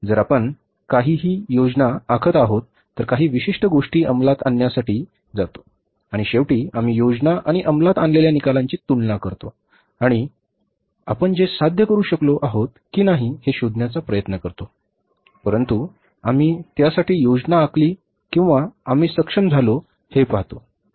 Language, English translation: Marathi, We plan to do something, we go for execution of that particular thing and finally we compare the planned and the executed results and try to find out whether we have been able to achieve but we planned for or we have not been able to